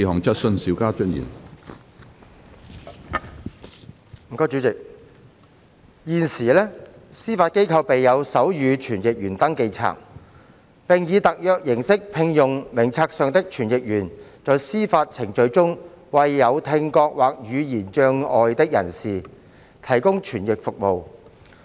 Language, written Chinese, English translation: Cantonese, 主席，現時，司法機構備有手語傳譯員登記冊，並以特約形式聘用名冊上的傳譯員在司法程序中為有聽覺或言語障礙的人士提供傳譯服務。, President currently the Judiciary maintains a register of sign language interpreters and engages on a freelance basis the interpreters on the register to provide interpretation service in court proceedings for people with hearing or speech impairment